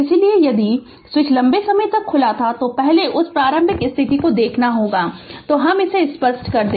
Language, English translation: Hindi, So, if switch was opened for a long time, first you have to see that initial condition right so let me clear it